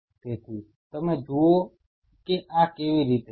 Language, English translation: Gujarati, So, you see this is how